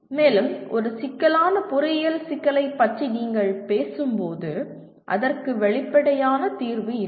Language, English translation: Tamil, And when you talk about a complex engineering problem, it has no obvious solution